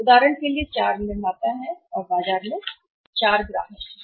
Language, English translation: Hindi, For example there are the 4 manufacturers right and there are the 4 customers in the market